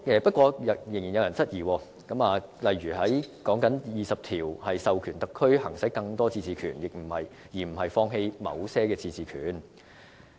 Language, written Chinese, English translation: Cantonese, 不過，仍有人質疑，例如指第二十條是授權特區行使更多自治權，而非放棄某些自治權。, However there are still queries from some people . For instance they say that Article 20 is for granting more power of autonomy to HKSAR instead of taking away certain power of autonomy from HKSAR